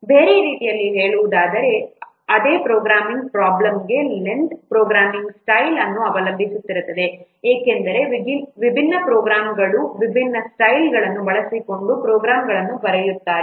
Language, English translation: Kannada, In other words, for the same programming problem, the length would depend on the programming style because different programmers they will write down the programs using different styles